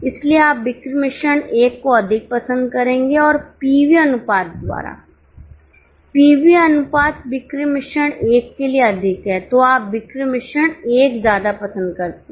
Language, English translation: Hindi, So, you would prefer sales mix 1 and by PV ratio, pv ratio is higher for sales mix 1 and by PV ratio is higher for sales mix 1 so you prefer sales mix 1